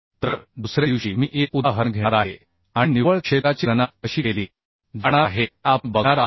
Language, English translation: Marathi, So next day I will go through one example and we will show how the net area is going to be calculated